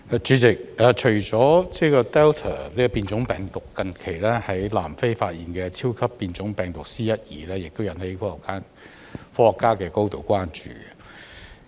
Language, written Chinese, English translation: Cantonese, 主席，除了 Delta 變種病毒，近期在南非發現的超級變種病毒 "C.1.2" 也引起科學家的高度關注。, President apart from the Delta mutant strain the recently discovered super mutant strain C1.2 in South Africa has also aroused great concern among scientists